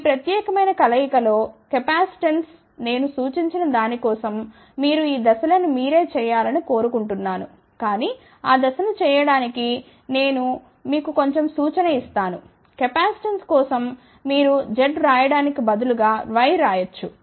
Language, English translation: Telugu, The capacitance into this particular combination here for that I suggest, that you do these steps yourself , but to do that step let me just give you little bit of a hint, that for capacitance, you can write instead of Z write y